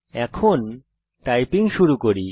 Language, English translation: Bengali, Now, let us start typing